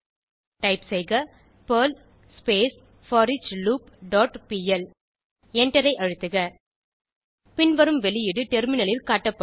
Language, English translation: Tamil, Type perl foreachLoop dot pl and press Enter The following output will be shown on terminal